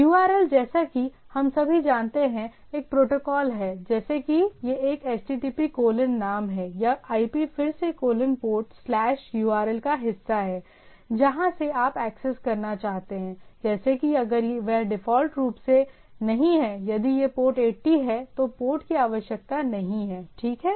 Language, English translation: Hindi, And URL as we all know, it is a protocol like if it is a HTTP colon name or IP again colon port slash the path where you want to access; like if that is not by default if it is a port 80, then the port is not required, right